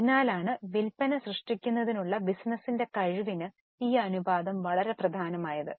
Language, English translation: Malayalam, That's why this ratio is very important for the ability of the business to generate the sales